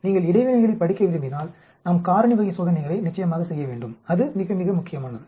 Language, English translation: Tamil, If you want to study interactions we need to definitely perform factorial type of experiments that is very, very important